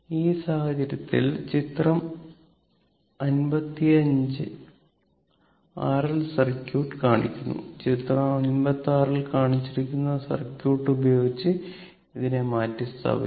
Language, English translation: Malayalam, So, in this case that figure 55 shows R L circuit and may be replaced by the circuit shown in figure 56